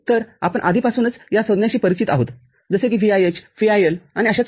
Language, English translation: Marathi, So, we are already familiar with the terms like VIH, VIL and so on